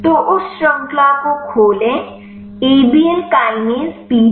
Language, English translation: Hindi, So, open that chain now kinase PDB